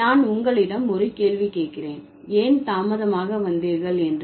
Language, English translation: Tamil, If I ask you a question, why did you arrive late